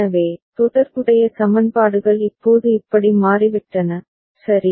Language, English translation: Tamil, So, corresponding equations have now become like this, all right